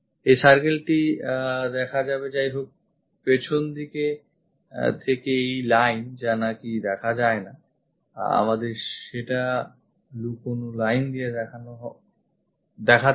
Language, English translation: Bengali, This circle will be visible; however, this line which is not visible from backside, we have to show it by hidden line